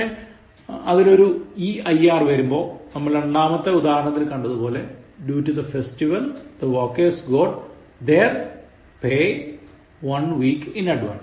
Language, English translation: Malayalam, But when it is eir, is a pronoun and it refers to people, as in the second example given: Due to the festival, the workers got their pay one week in advance